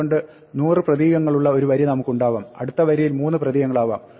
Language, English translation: Malayalam, So, we could have a line which has 100 characters, next line could have 3 characters and so on